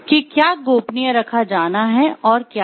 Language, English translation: Hindi, What is to be kept confidential and what is not confidential